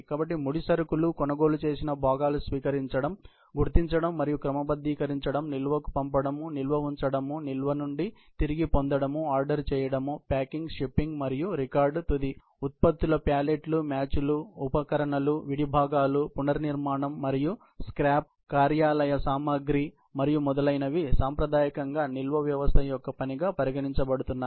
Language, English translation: Telugu, So, receiving identification and sorting, dispatching to storage, placing in storage, retrieving from storage, order accumulation, packing, shipping and record keeping for raw materials, purchased parts, work in process, finished products, pallets, fixtures, tools, spare parts, rework and scrap, office supplies and so forth have traditionally being considered to be the function of storage system all these storage systems